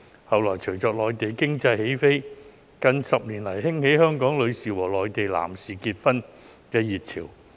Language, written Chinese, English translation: Cantonese, 其後，隨着內地經濟起飛，在近10年來，更興起香港女士和內地男士結婚的熱潮。, Subsequently as the Mainland economy took off there has been a boom in marriages between Hong Kong females and Mainland males in the recent decade